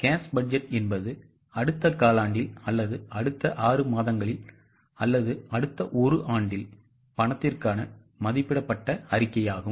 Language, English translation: Tamil, Now cash budget is an estimated statement for cash in the next quarter or next six months or next one year